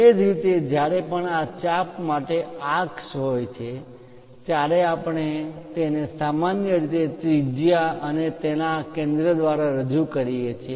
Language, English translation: Gujarati, Similarly, whenever there are arcs for this arc we usually represent it by radius and center of that